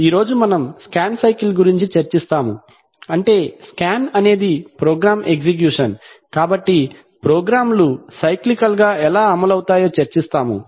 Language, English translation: Telugu, Today we will discuss a scan cycle, that is a scan is a program execution, so we will discuss how programs are cyclically executed